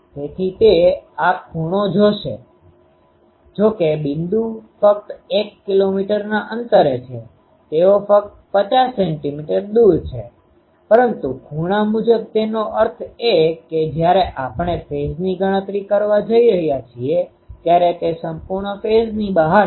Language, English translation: Gujarati, So, that will be see the these angles they though the points are very near only over a distance of one kilometer, they are only 50 centimeter away, but the angle wise; that means, when we are calculating phase they are completely out of phase